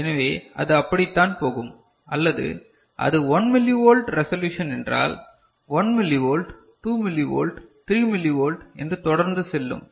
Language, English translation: Tamil, So, that is how it will go or if it is a 1 millivolt resolution is there 1 millivolt, 2 millivolt, 3 millivolt and so on and so forth